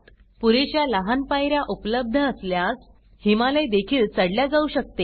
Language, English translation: Marathi, If sufficient small steps are available, Himalayas can also be climbed